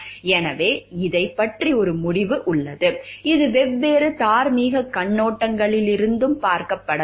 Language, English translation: Tamil, So, there is a decision about this is a, it needs to be looked into like from different moral perspectives also